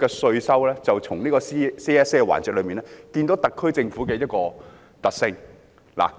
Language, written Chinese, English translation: Cantonese, 現時，從這個 CSA 辯論環節，便可看出特區政府的一個特性。, One of the characteristics of the SAR Government can now be generalized from this current debate on the CSA